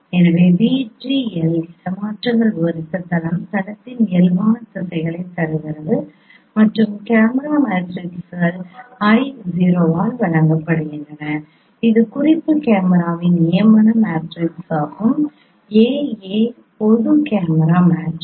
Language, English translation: Tamil, So plane described by say v transpose 1, v transpose and 1, V transpose gives the directions of normal of the plane and camera matrices are given by I 0 that is the canonical camera matrix of the reference camera and capital A that is a general camera matrix